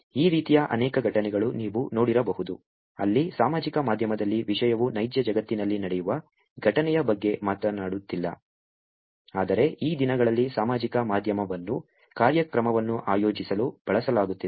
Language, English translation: Kannada, There have been many incidences like this which you may have come across, where it is not that content on social media is talking about an incident that happens on in the real world, but these day social media itself as being used for organizing an event